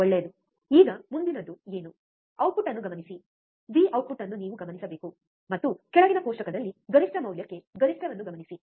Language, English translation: Kannada, Nice, now what is the next one, observe the output, V out you have to observe output, and note down the peak to peak value in the table below